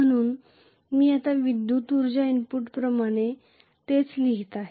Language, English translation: Marathi, So I am writing the same thing now as the electrical energy input